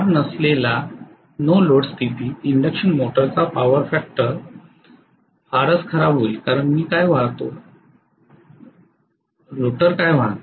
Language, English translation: Marathi, So normally induction motor power factor is going to be very bad during no load condition because what I carry, what the rotor carry